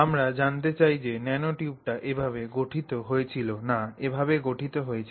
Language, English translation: Bengali, We want to know whether the nanotube got formed like this or it got formed like that